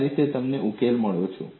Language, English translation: Gujarati, That is how you have got a solution